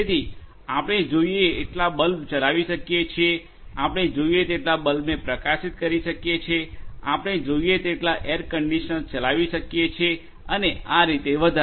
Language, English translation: Gujarati, So, we can run as many bulbs that we want, we can light as many bulbs that we want, we can run as many air conditioners that we want and so on